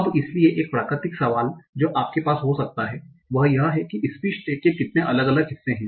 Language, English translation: Hindi, So now, so one natural question that you might have is, okay, so how many different part of speech tags are there